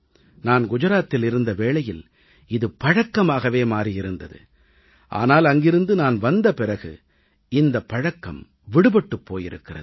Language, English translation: Tamil, Till the time I was in Gujarat, this habit had been ingrained in us, but after coming here, I had lost that habit